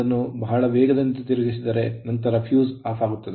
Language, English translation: Kannada, Suppose, if you move it very fast; then, fuse will be off